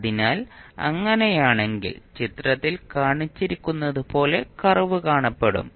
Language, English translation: Malayalam, So, in that case it will the curve will look like as shown in the figure